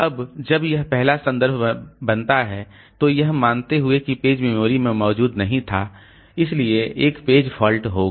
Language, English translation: Hindi, Now when this first reference is made, so assuming that the page was not present in the memory so there will be a page fault